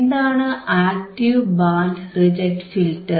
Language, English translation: Malayalam, What are the kinds of band reject filters